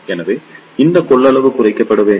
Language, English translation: Tamil, So, these capacitance should be reduced